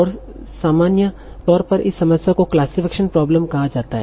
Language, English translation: Hindi, And this in general, this problem in general is called classification problem